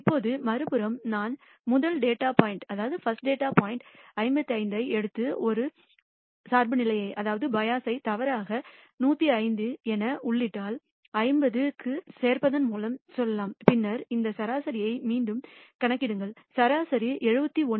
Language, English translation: Tamil, Now on the other hand if I take the rst data point 55 and add a bias wrongly enter it as 105 let us say by adding 50 to ta and then recompute this mean, I will find that the mean becomes 71